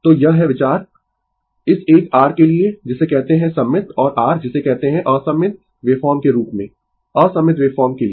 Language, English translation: Hindi, So, this is the idea for this one ah your what you call the symmetrical and your what you call as the unsymmetrical wave form for unsymmetrical wave form